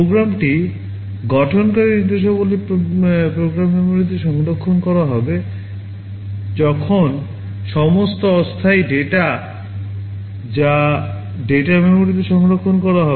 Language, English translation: Bengali, The instructions that constitute the program will be stored in the program memory, while all temporary data that will be stored in the data memory